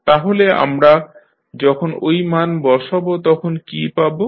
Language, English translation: Bengali, So, when you put that value what we get